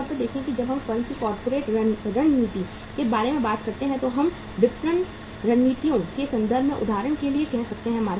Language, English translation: Hindi, Normally see when you talk about the corporate strategy of the firm, we can talk in terms of say uh for example in terms of the marketing strategies